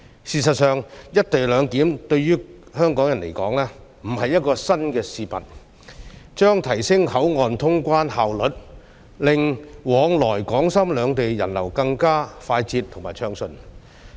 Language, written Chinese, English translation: Cantonese, 事實上，"一地兩檢"對於香港人來說並非新事物，這安排將提升口岸通關效率，令往來港深兩地的人流更快捷和暢順。, In fact co - location arrangement is nothing new to Hong Kong people . This arrangement will enhance the efficiency of customs clearance at the boundary crossings enabling the flow of people between Shenzhen and Hong Kong faster and smoother